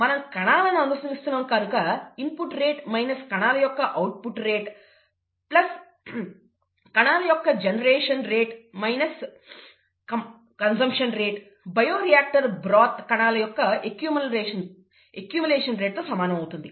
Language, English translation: Telugu, We are following cells, therefore the rate of input of cells minus the rate of output of cells plus the rate of generation of cells minus the rate of consumption of cells equals the rate of accumulation of cells in the broth, bioreactor broth